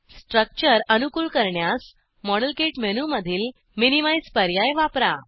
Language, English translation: Marathi, Use minimize option in the modelkit menu to optimize the structure